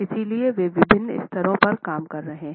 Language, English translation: Hindi, So, they are actually operating at different levels